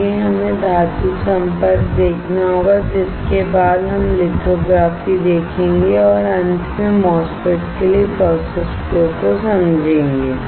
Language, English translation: Hindi, Next we have to see the metal contact, after which we will see lithography and finally, understand the process flow for the MOSFET